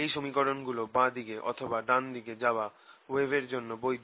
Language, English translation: Bengali, this are valid wave equation for wave travelling to the left or travelling to the right